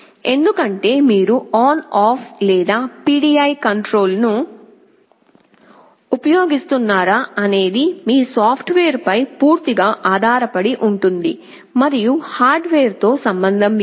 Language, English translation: Telugu, Because, you see whether you use ON OFF or PID control depends entirely on your software, and nothing to do with the hardware